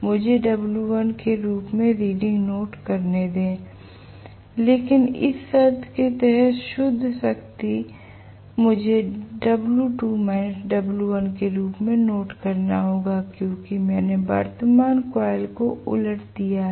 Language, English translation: Hindi, Let me just note down the reading as w1 but the net power under this condition I have to note down as w2 minus w1 because I have reversed the current coil